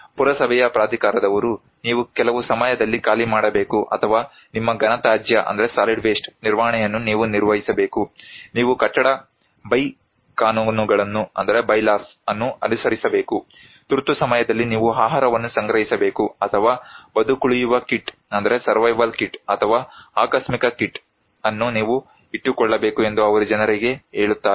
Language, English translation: Kannada, let us say, municipal authority, they ask people to follow something like you have to evacuate during certain time or you have to manage your solid waste, you have to follow building bye laws, you have to store food during emergency, or you have to keep survival kit, or contingency kit like that